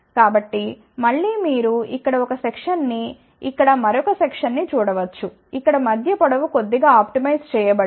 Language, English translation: Telugu, So, again you can see here one section here another section here the middle length here is slightly optimize